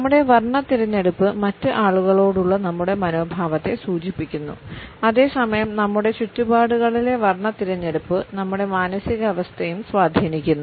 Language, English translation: Malayalam, Our choice of color suggests our attitudes to other people and at the same time the choice of color in our surroundings influences our moods also